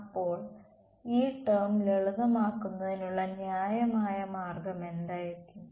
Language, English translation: Malayalam, So, what would be a reasonable way to simplify this term